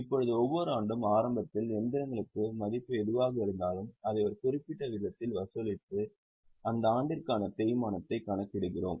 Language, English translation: Tamil, Now, every year whatever is a value of machinery at the beginning, we charge it at a particular rate and calculate the depreciation for that year